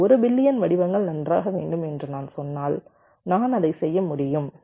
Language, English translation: Tamil, if i say that i need one billion patterns, fine, i can do that